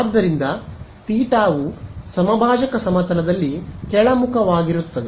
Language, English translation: Kannada, So, theta hat is downwards in the equatorial plane